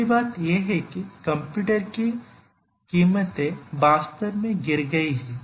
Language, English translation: Hindi, The first thing is or the most important thing is that the prices of computers have really fallen